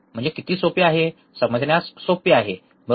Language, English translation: Marathi, So, simple so easy to understand, right